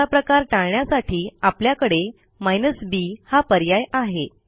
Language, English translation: Marathi, To prevent anything like this to occur, we have the b option